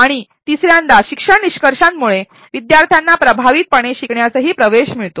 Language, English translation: Marathi, And thirdly learning outcomes also make the students learning to be accessed effectively